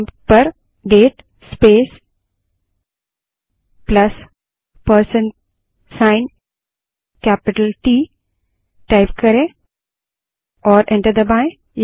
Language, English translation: Hindi, Type at the prompt date space plus % capital T and press enter